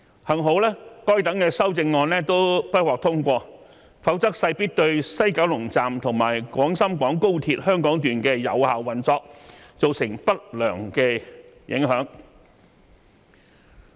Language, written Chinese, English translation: Cantonese, 幸好該等修正案都不獲通過，否則勢必對西九龍站及廣深港高鐵香港段的有效運作造成不良影響。, Fortunately all of the amendments were negatived; otherwise they would definitely have caused adverse effect on the effective operation of the West Kowloon Terminus and the Hong Kong Section of Guangzhou - Shenzhen - Hong Kong Express Rail Link